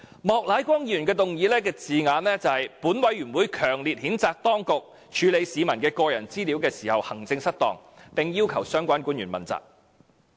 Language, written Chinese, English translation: Cantonese, "莫乃光議員的議案措辭是："本委員會強烈譴責當局處理市民的個人資料時行政失當，並要求相關官員問責。, And Mr Charles Peter MOKs motion wording reads This Panel strongly condemns the authorities for maladministration in handling the personal data of members of the public and requests that the relevant officials be held accountable for the incident